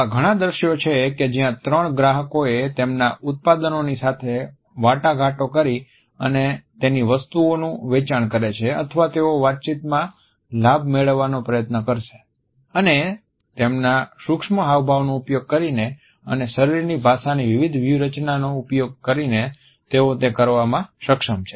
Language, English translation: Gujarati, There are lot of scenes where three clients have to negotiate and sell their products or they try to get an upper hand in a conversation and they are able to do it using their micro expressions and using different strategies of body language